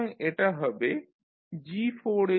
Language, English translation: Bengali, So this will become G4s into G5s into H3s